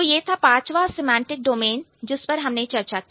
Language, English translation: Hindi, So, that was, that was about the, um, the fifth semantic domain that we were talking about